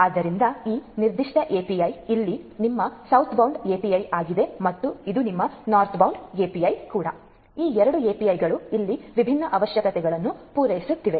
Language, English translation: Kannada, So, this particular API is your Southbound API over here and this is your Northbound API so, these two APIs are over here catering to these different requirements